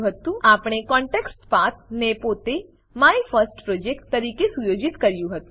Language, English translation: Gujarati, We had set the ContextPath as MyFirstProject itself